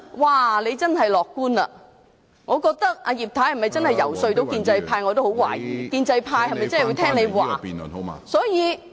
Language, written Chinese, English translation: Cantonese, 她真是樂觀，對於葉太能否遊說建制派，我也感到十分懷疑，建制派會否聽她的說話......, Mrs IP is really optimistic . I doubt very much whether she could persuade pro - establishment Members . Will they listen to her